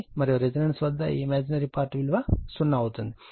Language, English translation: Telugu, And at resonance this imaginary part will be 0 right